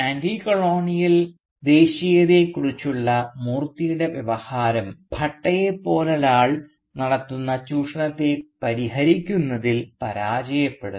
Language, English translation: Malayalam, And Moorthy’s discourse of Anticolonial Nationalism fails to address the exploitation that someone like Bhatta carries out